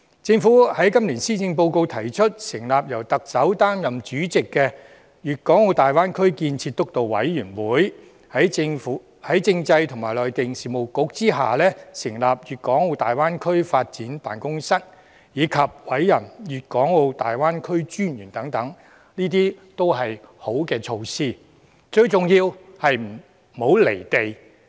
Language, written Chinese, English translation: Cantonese, 政府在今年施政報告提出，成立由特首擔任主席的粵港澳大灣區建設督導委員會、在政制及內地事務局下成立粵港澳大灣區發展辦公室，以及委任粵港澳大灣區發展專員等，這些均是好措施，最重要是不"離地"。, It is stated in the Policy Address this year that the Chief Executive would chair the Steering Committee for the Development of the Greater Bay Area that the Constitutional and Mainland Affairs Bureau would set up a Greater Bay Area Development Office and appoint a Commissioner for the Development of the Greater Bay Area and so on . These measures are all good and most importantly practical and not detached from reality